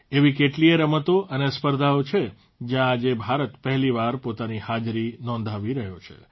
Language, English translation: Gujarati, There are many such sports and competitions, where today, for the first time, India is making her presence felt